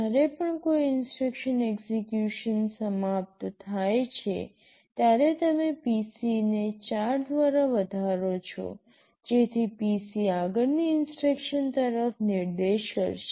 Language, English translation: Gujarati, Whenever one instruction finishes execution, you increment PC by 4, so that PC will point to the next instruction